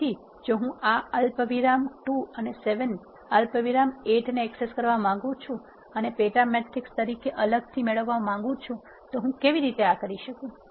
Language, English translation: Gujarati, So, this is another example of accessing sub matrices if I want to access this 1 comma 2 and 7 comma 8 and have it as a sub matrix separately how do I do this